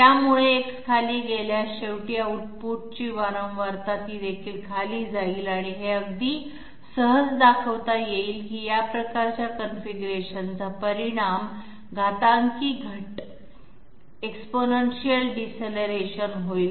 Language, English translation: Marathi, So if X goes down, ultimately the frequency of output that will also go down and it can be shown very easily that is sort of configuration will result in exponential deceleration